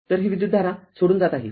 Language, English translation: Marathi, So, this current is leaving